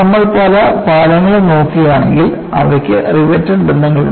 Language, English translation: Malayalam, And if you look at many of the bridges, they have riveted joints